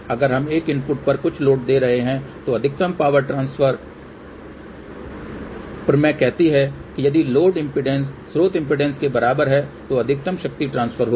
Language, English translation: Hindi, Let us say if we are giving a input and that one is going to some load , the maximum power transfers theorem says that the maximum power will get transfer if the load impedance is equal to source impeder